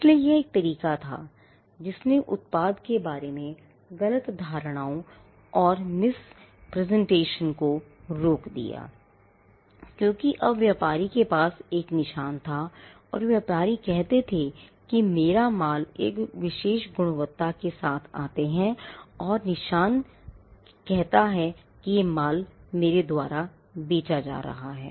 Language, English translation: Hindi, So, it became a way in which, misconceptions about the product or misrepresentations of the product was prevented because, now the trader had a mark and the trader would tell that my goods come with a particular quality and this mark identifies the goods that I am selling